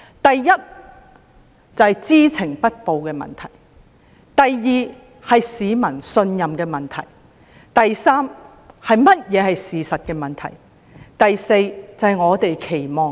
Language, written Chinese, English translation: Cantonese, 第一，是知情不報的問題；第二，是市民信任的問題；第三，是事實如何的問題；第四，是我們的期望。, First the issue of failure to report; second the issue of public confidence; third the issue of the truth; and fourth our expectation